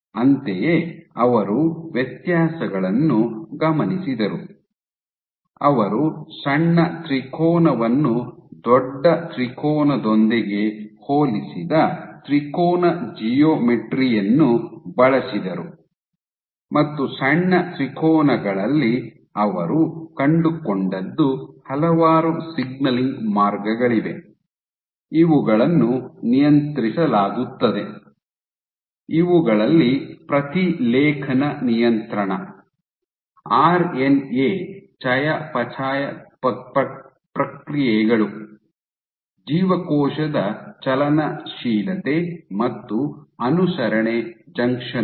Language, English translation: Kannada, Similarly, they observed differences, so they used the triangular geometry they compared a small triangle with a big triangle and what they found was in the smaller triangles there are several signaling pathways which were up regulated, these include regulation of transcription, RNA metabolic processes, cell motility and adherence junctions